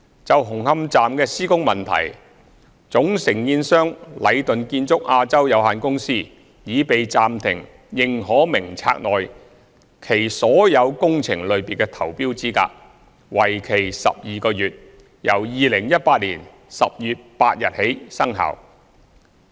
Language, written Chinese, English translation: Cantonese, 就紅磡站的施工問題，總承建商禮頓建築有限公司已被暫停認可名冊內其註冊所有工程類別的投標資格，為期12個月，由2018年10月8日起生效。, For the construction issues associated with Hung Hum Station Leighton Construction Asia Limited Leighton is suspended from tendering for all works categories under which it is listed on the Approved Lists for a period of 12 months effective from 8 October 2018